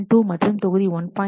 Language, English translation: Tamil, 2 and module 1